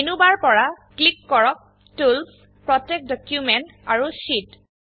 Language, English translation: Assamese, From the Menu bar, click on Tools, Protect Document and Sheet